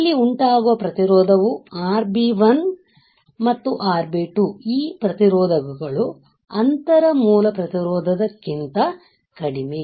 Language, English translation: Kannada, The resistance which is caused here RB1 and RB2 this resistors are lower than the inter base resistance